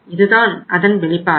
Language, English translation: Tamil, This is the one outcome